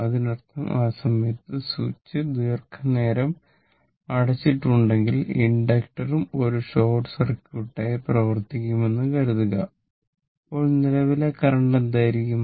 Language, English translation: Malayalam, So that means, you assume that if the switch is closed for a long time at that time inductor also will act as a short circuit then ah then what will be the your current initial initial current